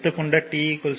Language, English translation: Tamil, So, at t is equal to 0